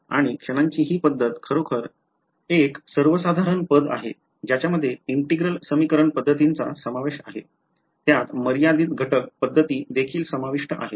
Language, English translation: Marathi, And this method of moments is actually it is a very general term it includes integral equation methods; it also includes finite element methods ok